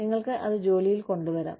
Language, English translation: Malayalam, You may bring it to the job